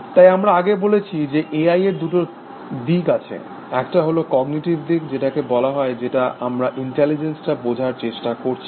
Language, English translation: Bengali, So, we had said earlier that, there are two approaches to A I, one is the cognitive approach which says, which I, we are trying to understand intelligence